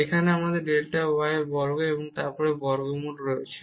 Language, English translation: Bengali, Here we have delta y square as well and then the square root